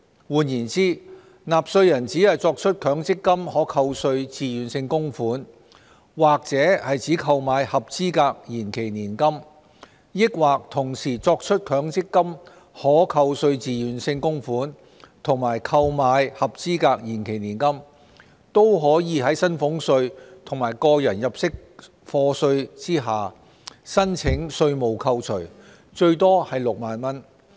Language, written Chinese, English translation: Cantonese, 換言之，納稅人只作出強積金可扣稅自願性供款，或只購買合資格延期年金，抑或同時作出強積金可扣稅自願性供款和購買合資格延期年金，都可在薪俸稅及個人入息課稅下申請稅務扣除，最多為6萬元。, In other words whether a taxpayer makes MPF TVCs or purchases a qualifying deferred annuity or makes MPF TVCs and purchases a qualifying deferred annuity as well the taxpayer can still claim deductions under salaries tax and personal assessment up to the cap of 60,000